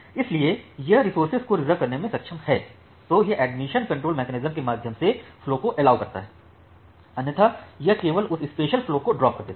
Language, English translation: Hindi, If it is able to reserve the resources, then it allows the flow through the admission control mechanism otherwise it simply drops that particular flow